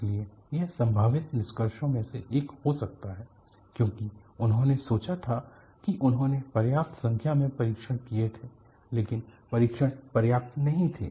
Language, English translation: Hindi, So, that could be one of the possible conclusions because they had thought that they had done enough number of test, but the test were not sufficient